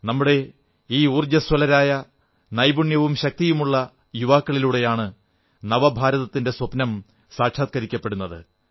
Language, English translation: Malayalam, I firmly believe that the dream of our 'New India' will be realized through the skill & fortitude of these energetic youth